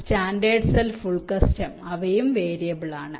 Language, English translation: Malayalam, standard cell, full custom, they are also variable